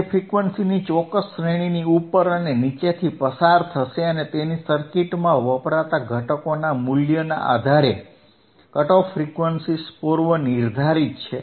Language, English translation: Gujarati, It will pass above and pass above and below particular range of frequencies whose cut off frequencies are predetermined depending on the value of the components used in the circuit